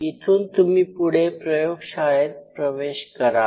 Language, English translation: Marathi, Then the next thing you enter inside the lab